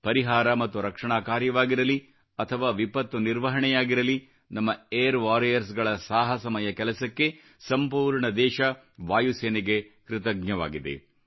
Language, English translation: Kannada, Be it the relief and rescue work or disaster management, our country is indebted to our Air Force for the commendable efforts of our Air Warrior